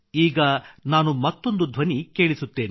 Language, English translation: Kannada, Now I present to you one more voice